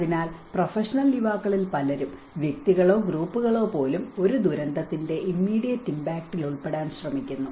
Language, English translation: Malayalam, So, many of the professional youngsters and even individuals or even groups they try to get involved under the immediate impact of a disaster